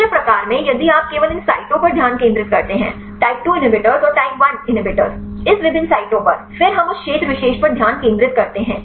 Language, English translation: Hindi, In the second type, if you focus only on the these sites; the type 2 inhibitors and the type 1 inhibitors, at this different sites, then we focus on that particular region